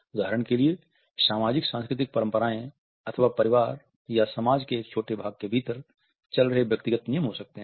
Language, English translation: Hindi, There may be for example socio cultural conventions or individual rules running within families or a smaller segments of society